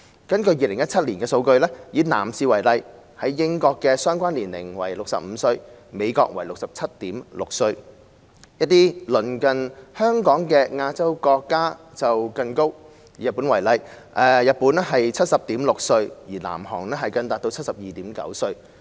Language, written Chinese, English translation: Cantonese, 根據2017年的數據，以男士為例，英國的相關年齡為65歲，美國為 67.6 歲；一些鄰近香港的亞洲國家就更高，日本為 70.6 歲，南韓更達 72.9 歲。, According to the statistics in 2017 and take men as an example the age was 65 in the United Kingdom and 67.6 in the United States . It is even higher in some countries neighbouring Hong Kong in Asia such as 70.6 in Japan and 72.9 in South Korea